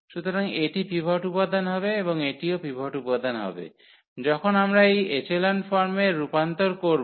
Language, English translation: Bengali, So, this will be the pivot element and this will be also the pivot element when we convert into this echelon form